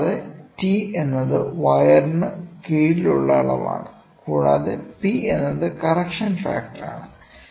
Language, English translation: Malayalam, And, T is the dimension under the wire and P is the correction factor, ok